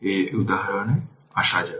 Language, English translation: Bengali, Let us come to this example